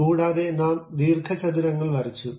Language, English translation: Malayalam, And also we went with rectangles